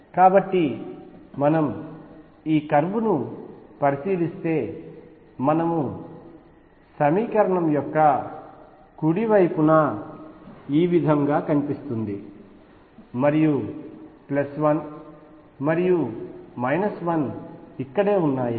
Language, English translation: Telugu, So, if you look at this curve that we have been drawing the right hand side of the equation looks like this and plus 1 and minus 1 are right here